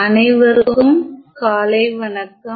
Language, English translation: Tamil, Good morning everyone